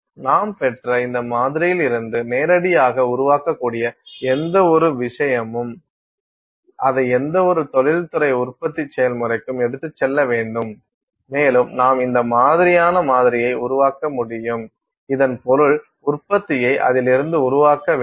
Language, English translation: Tamil, Any number of things which can be made directly out of this sample that you have received, you just have to take it to any industrial production process and you can make this kind of sample, I mean to make this make the product out of it